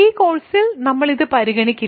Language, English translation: Malayalam, In this course, we will not consider this